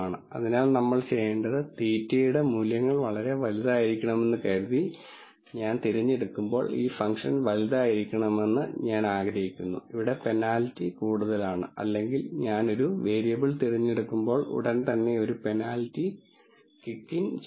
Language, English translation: Malayalam, So, what we want to do is, when I choose the values of theta to be very large, I want this function to be large So, that the penalty is more or whenever I choose a variable right away a penalty kicks in